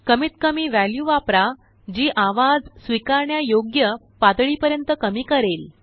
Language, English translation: Marathi, Use the lowest value that reduces the noise to an acceptable level